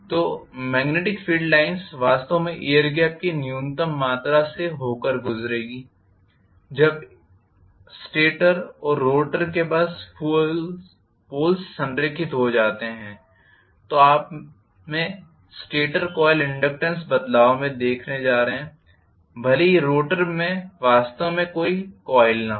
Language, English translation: Hindi, So the magnetic field line actually will pass through really minimum amount of air gap when the stator and rotor Poles are aligned so you are going to have a variation in the stator coil inductance even though the rotor is really not having any coil